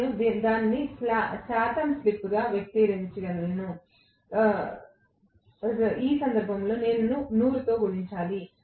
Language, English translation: Telugu, And I can express it as percentage slip in which case I will say multiplied by 100